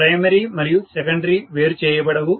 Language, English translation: Telugu, The primary and secondary are not isolated